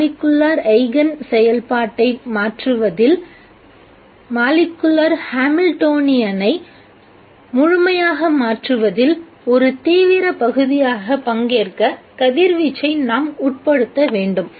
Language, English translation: Tamil, We might have to involve the radiation as taking an active part in changing the molecular eigen function, changing the molecular Hamiltonian completely